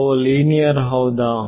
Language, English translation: Kannada, Are they linear